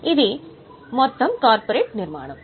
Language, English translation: Telugu, This is the overall structure